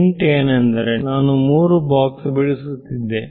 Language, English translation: Kannada, I mean the hint is that I would have drawn three boxes